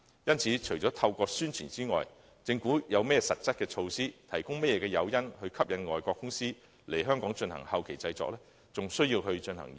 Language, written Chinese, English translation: Cantonese, 因此，除了透過宣傳外，政府有何實質措施，可提供甚麼誘因，以吸引外國公司來香港進行後期製作呢？, As such besides conducting publicity what concrete measures does the Government have and what incentives can it offer to attract overseas companies to carry out postproduction in Hong Kong?